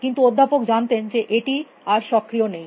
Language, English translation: Bengali, But, professor co inside that know it not active any longer